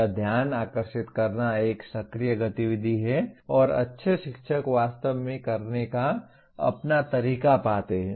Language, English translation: Hindi, That getting the attention is an affective activity and good teachers find their own way of doing actually